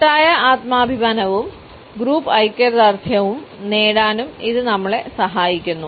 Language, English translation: Malayalam, It also helps us to achieve collective self esteem and group solidarity